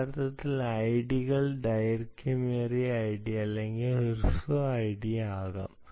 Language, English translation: Malayalam, actually, id s can be either long, id or short